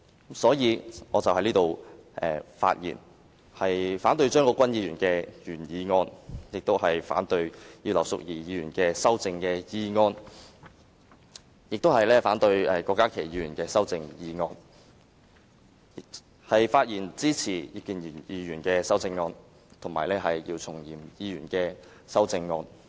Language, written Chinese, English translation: Cantonese, 故此，我反對張國鈞議員的原議案，以及葉劉淑儀議員和郭家麒議員的修正案，並支持葉建源議員和姚松炎議員的修正案。, Consequently I oppose the original motion of Mr CHEUNG Kwok - kwan and the amendments of Mrs Regina IP and Dr KWOK Ka - ki; I support the amendments of Mr IP Kin - yuen and Dr YIU Chung - yim